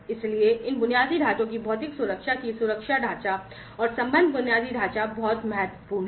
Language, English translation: Hindi, So, security the physical security of these infrastructure the frameworks, and the associated infrastructure are very important